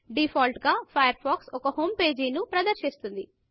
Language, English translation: Telugu, By default, Firefox displays a homepage